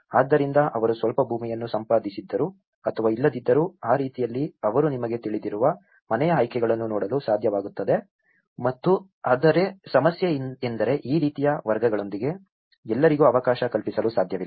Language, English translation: Kannada, So, whether they have procured some land or not, so in that way, they could able to see the household selections you know and but the problem is, with this kind of categories, itís not possible to accommodate everyone